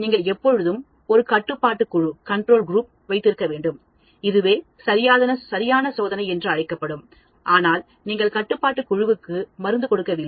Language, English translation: Tamil, You should always have a control group, which exactly replicates that group which is called test, but you don’t give the drug to the control group